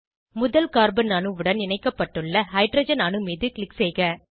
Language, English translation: Tamil, Click on the hydrogen atom attached to the first carbon atom